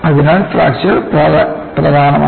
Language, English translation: Malayalam, So, fracture is important